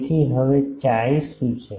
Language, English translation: Gujarati, So, now, what is chi